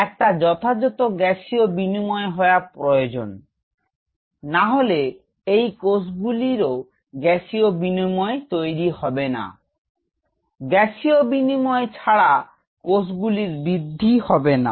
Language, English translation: Bengali, There has to be a proper Gaseous exchange which should take place, without the Gaseous exchange these cells are not going to grow